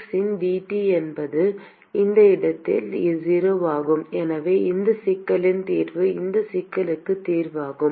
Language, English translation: Tamil, dT by dx is 0 at that location and therefore, the solution of this problem is also the solution of this problem